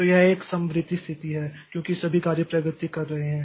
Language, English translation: Hindi, So, this is a concurrent situation because all the tasks, so they are progressing